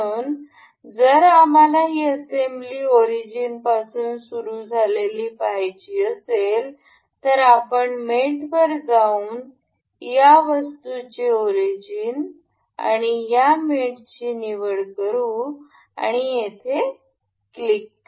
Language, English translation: Marathi, So, if we want this assembly to start with origin, we can select mate, the origin of this item and the origin of this item and this mates here, and click ok